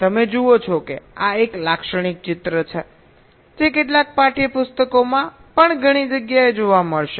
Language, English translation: Gujarati, you see, this is a typical picture that will find in several places in some textbooks also